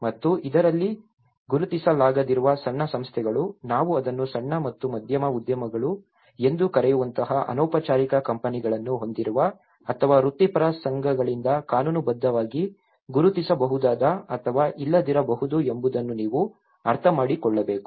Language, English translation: Kannada, And in this, you one has to also understand that the small bodies which may not have been recognized, which has about a informal companies like we call it as small and medium enterprises which may or may not legally recognized by the professional associations